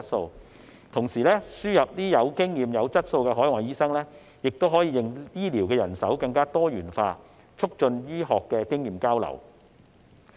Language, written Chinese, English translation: Cantonese, 再者，同時輸入有經驗和有質素的海外醫生，亦可以令醫療人手更多元化，促進醫學經驗交流。, Moreover the importation of experienced and quality overseas doctors can also diversify healthcare manpower and promote the exchange of medical experience